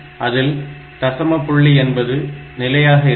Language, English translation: Tamil, So, this is the decimal number system